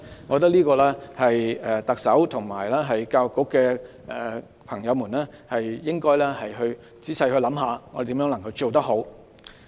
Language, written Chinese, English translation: Cantonese, 我覺得特首和教育局的朋友應該仔細想想如何可以做得好。, I think the Chief Executive and those from the Education Bureau should think carefully how to do it properly . Take the point of stability as an example